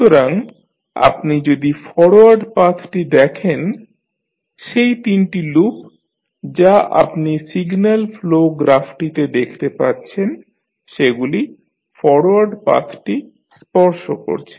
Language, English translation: Bengali, So, if you see the particular forward path all three loops which you can see in the signal flow graph are touching the forward path